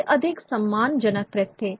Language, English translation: Hindi, These were the more respectable places